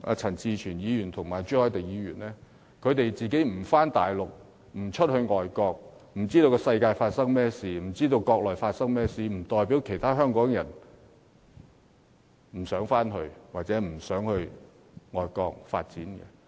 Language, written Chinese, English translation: Cantonese, 陳志全議員和朱凱廸議員不往國內或海外跑，不知道外面的世界和國內正在發生甚麼事情，並不代表其他香港人不想回國內或前往海外發展。, Mr CHAN Chi - chuen and Mr CHU Hoi - dick seldom visit the Mainland and other countries so they do not know what has been going on in the outside world and our own country . But they should not think that other Hong Kong people do not want to pursue development in the Mainland or overseas